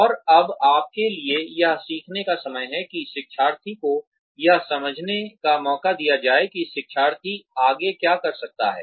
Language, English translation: Hindi, And, it is now time for you, to let the learner understand, what the learner can do next